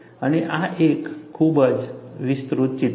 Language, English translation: Gujarati, And this is a very highly magnified picture